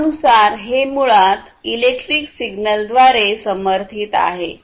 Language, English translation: Marathi, So, as this name suggests, these are basically powered by electric signal